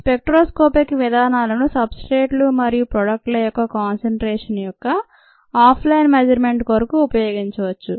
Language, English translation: Telugu, spectroscopic methods can be used for off line measurement of concentration of substrates and products